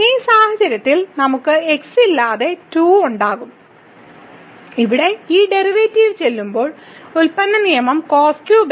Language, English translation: Malayalam, And in this case also we will have 2 without x when we do this derivative here the product rule cube